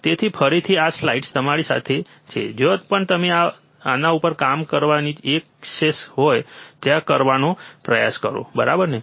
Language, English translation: Gujarati, So, again this slides are with you you try to do at wherever place you have the access to work on this, right